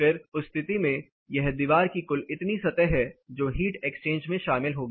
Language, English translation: Hindi, Then in that case this is an amount of wall surface which is involved in the heat exchange